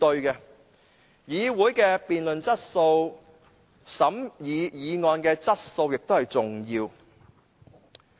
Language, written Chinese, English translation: Cantonese, 議會的辯論質素及審議議案的質素，亦很重要。, The quality of debate and examination of motions in the Council is also crucial